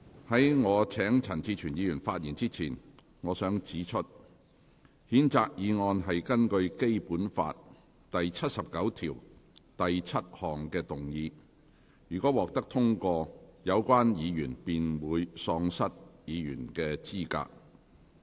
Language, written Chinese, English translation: Cantonese, 在我請陳志全議員發言之前，我想指出，譴責議案是根據《基本法》第七十九條第七項動議；若獲得通過，有關議員便會喪失議員資格。, Before I invite Mr CHAN Chi - chuen to speak I must point out that the censure motion was moved in accordance with Article 797 of the Basic Law and if the motion is passed the Member concerned will no longer be qualified for his office